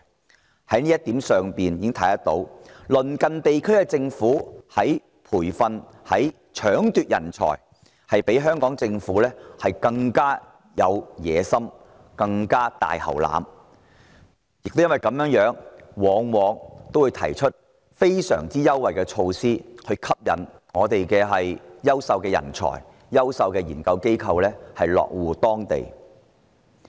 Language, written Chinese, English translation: Cantonese, 由此可見，在培訓、搶奪人才上，鄰近地區的政府比香港政府更具野心、更"大喉欖"；亦因如此，他們往往會提出非常優惠的措施來吸引香港的優秀人才及研究機構落戶當地。, It is thus evident that compared with the Government of Hong Kong the governments of our neighbouring regions are bolder and more ambitious in nurturing and battling for talent so much so that they often put forward extremely favourable measures to lure talent and research institutions in Hong Kong to land in their territories